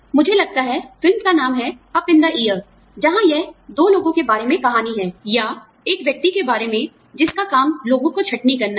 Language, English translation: Hindi, I think, the movie is called, Up in The Air, where it is a story about two people, who are, or, about one person, whose job is to, lay off people